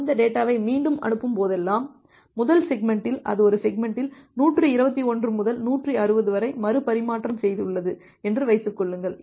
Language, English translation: Tamil, Whenever it is retransmitting that data, assume that in the first segment it has retransmitted from 121 to 160 in a single segment